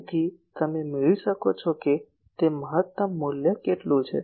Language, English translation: Gujarati, So, what is the maximum value you can get